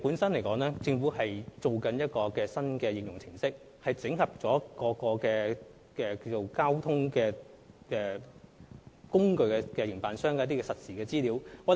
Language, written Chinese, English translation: Cantonese, 政府正在設計一個新的應用程式，整合各公共交通服務營辦商的實時資料。, The Government is now working on a new application programme to consolidate the real - time information provided by all public transport operators